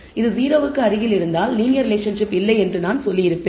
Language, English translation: Tamil, If it is close to 0 I would have said there is no linear relationship, but it is in this case it is very high